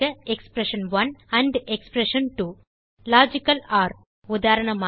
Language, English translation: Tamil, expression1 ampamp expression2 Logical OR eg